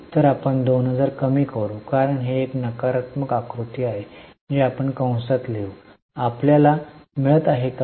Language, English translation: Marathi, Now we are going to reverse it so we will reduce 2000 because it is a negative figure we will write it in bracket